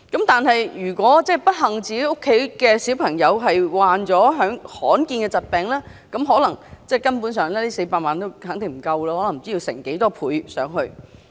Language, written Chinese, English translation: Cantonese, 但是，如果自己的小朋友不幸患上罕見疾病 ，400 萬元根本不足夠，可能要以倍數來計。, But if the child is so unfortunate as to have contracted a rare disease 4 million is simply not enough . It may take a few times more money to raise the child